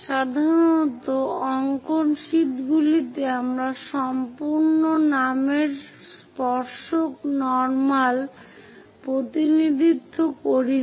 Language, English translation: Bengali, Usually, on drawing sheets, we do not represent complete name tangent normal